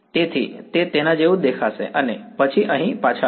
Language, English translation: Gujarati, So, it is going to look like and then come back here right